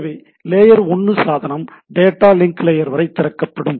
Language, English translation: Tamil, So, layer 1 device will open up to the data link layer and so on and so forth right